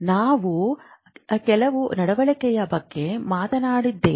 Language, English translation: Kannada, We are talking of certain behavior